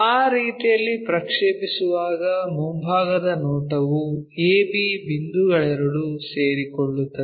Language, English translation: Kannada, So, when we are projecting in that way the front view both A B points coincides